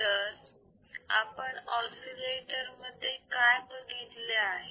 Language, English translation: Marathi, So, what we have seen in oscillators